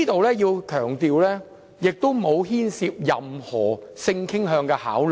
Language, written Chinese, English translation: Cantonese, 我要強調，當中並不牽涉任何性傾向的考慮。, I have to stress that it does not involve any consideration of sexual orientation